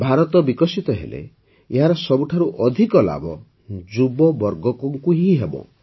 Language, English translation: Odia, When India turns developed, the youth will benefit the most